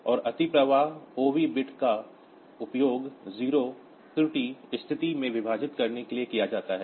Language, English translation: Hindi, And overflow OV bit is used to indicate it divide by 0 error condition